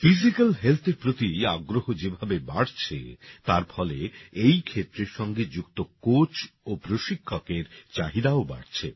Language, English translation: Bengali, The way interest in physical health is increasing, the demand for coaches and trainers related to this field is also rising